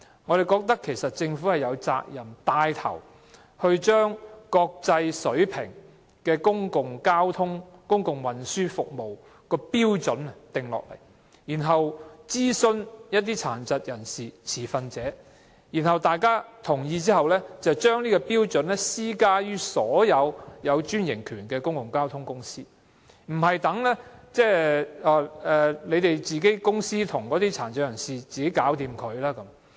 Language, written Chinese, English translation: Cantonese, 我們認為政府有責任牽頭訂定符合國際水平的公共交通或公共運輸服務標準，然後諮詢殘疾人士和持份者，在取得各方面同意後，政府應將標準施加於所有獲批專營權營運的公共交通公司，而不是由各公司與殘疾人士自行商討。, This is far from satisfactory . We consider that the Government is duty - bound to take the lead to draw up benchmarks for various modes of public transport or public transport services that meet the international standards in consultation with PWDs and stakeholders . After obtaining the consent of various parties the Government should apply these standards to all public transport service franchisees rather than allowing them to negotiate with PWDs on their own